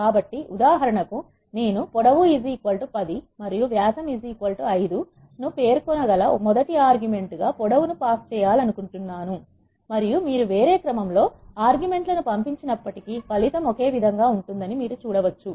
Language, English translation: Telugu, So, for example, I want to pass length as a first argument you can specify length is equal to 10 and diameter is equal to 5 and you can still see the result is same even though you pass the arguments in the different order